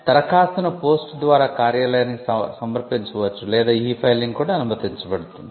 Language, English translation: Telugu, The application can be submitted to the office by post or electronically e filing is also permissible